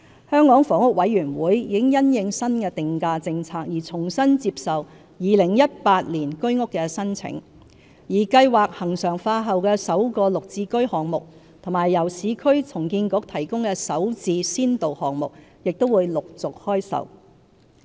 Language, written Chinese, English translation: Cantonese, 香港房屋委員會已因應新定價政策而重新接受2018年居屋的申請，而計劃恆常化後的首個"綠置居"項目和由市區重建局提供的"首置"先導項目，亦會陸續開售。, Following the new pricing policy the Hong Kong Housing Authority HKHA has reopened application for Home Ownership Scheme 2018 and the sale of the first project under the regularized Green Form Subsidised Home Ownership Scheme and the Starter Homes pilot project of the Urban Renewal Authority URA will also be launched subsequently